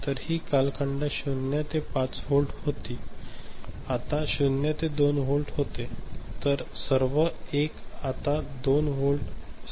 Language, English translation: Marathi, So, this span which was 0 to 5 volt, now becomes 0 to 2 volt ok